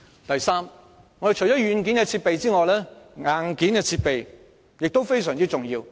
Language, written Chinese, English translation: Cantonese, 第三，除軟件外，硬件設備亦非常重要。, Third software aside hardware facilities are also important